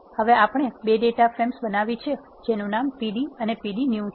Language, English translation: Gujarati, Now we have created 2 data frames pd and pd new